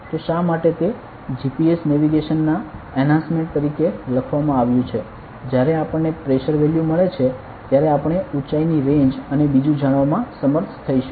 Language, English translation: Gujarati, So, why it is written as enhancement of GPS navigation is that; when we get the pressure value we will be exactly able to know the height range and all ok